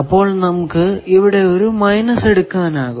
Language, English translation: Malayalam, So, 1 of the thing you can take as minus